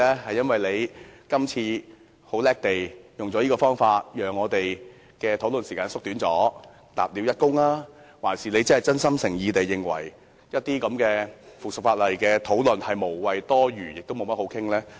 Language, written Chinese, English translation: Cantonese, 是因為他這次聰明地利用這個方法縮短討論時間立了一功，還是因為他真心誠意地認為討論這項附屬法例是無謂、多餘和不值一哂？, Is it because he has performed a meritorious service by making this clever move to shorten the discussion time or does he truly consider the discussion of this subsidiary legislation pointless unnecessary and worthless?